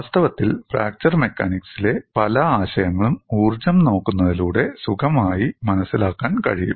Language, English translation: Malayalam, In fact, many concepts in fracture mechanics can be comfortably understood by looking at the energy